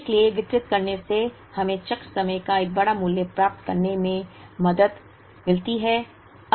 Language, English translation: Hindi, So, distributing is helped us achieve a larger value of cycle time